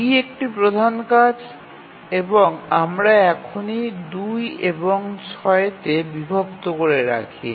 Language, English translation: Bengali, So, is D is a large task and we divide into 2 and 6